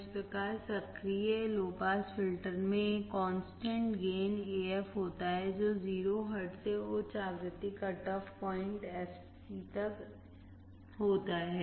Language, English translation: Hindi, Thus the active low pass filter has a constant gain AF from 0 hertz to high frequency cut off point fc